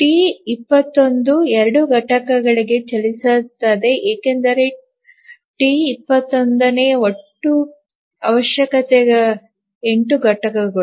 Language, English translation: Kannada, The T2 runs for two units because the total requirement for T2 is 8 units